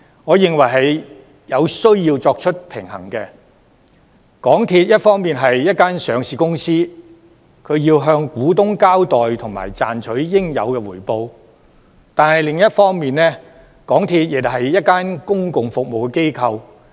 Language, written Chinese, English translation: Cantonese, 我認為港鐵公司是有需要作出平衡的，因為港鐵公司一方面是一間上市公司，要向股東交代及賺取應有的回報，但另一方面亦是一間公共服務機構。, In my view it is necessary for MTRCL to strike a balance as on one hand MTRCL is a listed company which has to be accountable to shareholders and make a reasonable return and on the other hand it is a public service company